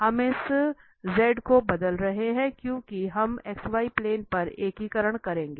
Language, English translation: Hindi, We are replacing this Z because we will be integrating over the X Y plane